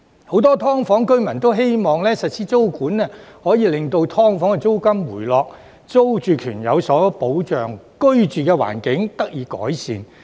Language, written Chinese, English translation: Cantonese, 很多"劏房"居民都希望實施租管可以令"劏房"租金回落，租住權有所保障，居住環境得以改善。, Many residents of SDUs hope that the implementation of tenancy control can bring down the rent of SDUs provide a security of tenure and improve their living environment